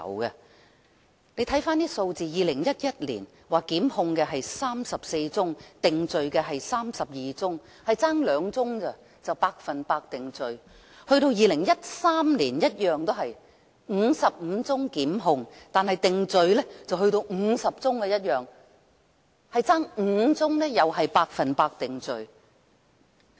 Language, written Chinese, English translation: Cantonese, 我們看看數字 ，2011 年有34宗檢控個案 ，32 宗被定罪，只差2宗便達致 100% 定罪了 ；2013 年的情況相同，便是55宗檢控 ，50 宗定罪，只差5宗便達致 100% 定罪。, We can look at the figures here . In 2011 there were 34 prosecutions and 32 convictions just two cases short of the full conviction rate . The situation in 2013 was the same with 55 prosecutions and 50 convictions just five cases short of the full conviction rate